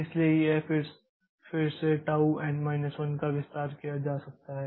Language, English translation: Hindi, So, again this tau n minus 1 can be expanded